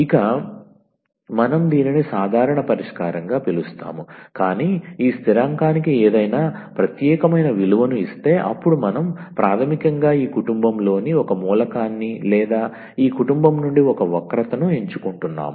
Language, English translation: Telugu, So, therefore, we call this as a general solution, but if we give any particular value to this constant, then we are basically selecting one element of this family or one curve out of this family